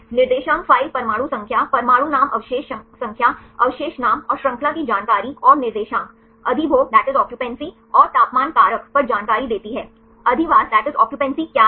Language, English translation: Hindi, The coordinate file gives the information on the atom number, atom name residue number, residue name and the chain information and the coordinates, occupancy and temperature factor; what is occupancy